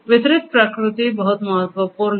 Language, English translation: Hindi, Distributed nature is very important